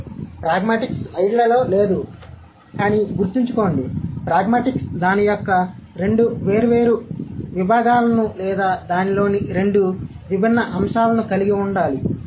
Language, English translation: Telugu, So, pragmatics, I'm going to, it's not here in the slide, but just remember, pragmatics should have two different domains of it or two different aspects of it